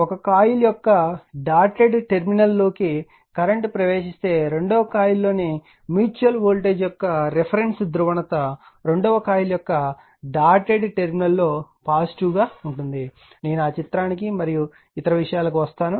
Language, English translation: Telugu, If a current enters the dotted terminal of one coil , the reference polarity of the mutual voltage in the second coil is positive at the dotted terminal of the second coil, this is the language I have written that you will come to that figure and other thing